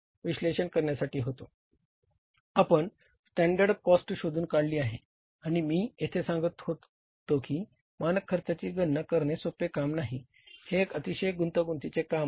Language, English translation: Marathi, We have devised the standard cost and I tell you here calculating the standard cost is not a very very easy task